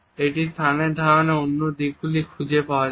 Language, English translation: Bengali, This can be found in other aspects of our understanding of space